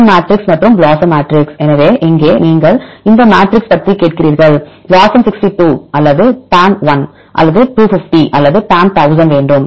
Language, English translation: Tamil, PAM matrix and BLOSUM matrix; so here, asking about the matrix which matrix you want BLOSUM62 or the PAM1 or 250 or PAM1000